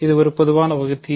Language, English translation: Tamil, It is a common divisor